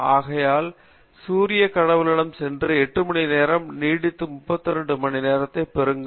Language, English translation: Tamil, So, go to Sun God and say extend 6 hours and make it 8 hours and make it 32 hours a day